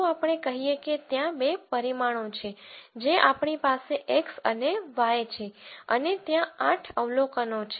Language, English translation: Gujarati, Let us say there are two dimensions that we are interested in x and y and there are eight observations